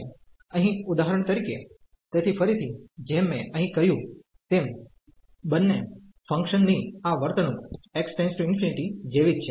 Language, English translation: Gujarati, Here for example, so again as I said here this behavior of both the functions is same as x approaches to infinity